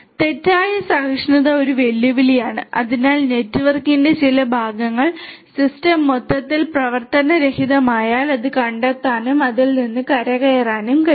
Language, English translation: Malayalam, Fault tolerance is a challenge so, if some part of the network goes down the system as a whole will have to be able to detect that and will have to recover from it